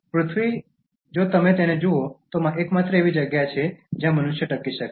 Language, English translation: Gujarati, Earth if you look at it, is the only place where humans can survive